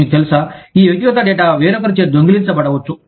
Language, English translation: Telugu, You know, this personal data could be, stolen by somebody else